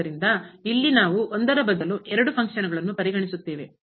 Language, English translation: Kannada, So, here we will consider two functions instead of one